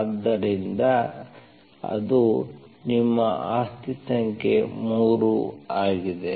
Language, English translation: Kannada, So that is your property number 3